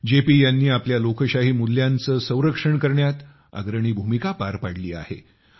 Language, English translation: Marathi, JP played a pioneering role in safeguarding our Democratic values